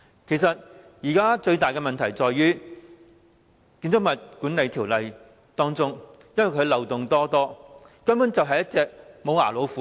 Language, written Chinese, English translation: Cantonese, 現時最大的問題其實在於《建築物管理條例》極多漏洞，根本就像一隻無牙老虎。, Currently the biggest problem lies in the fact that the many loopholes in the Building Management Ordinance BMO have turned it into a toothless tiger